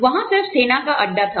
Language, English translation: Hindi, There was just an army base, there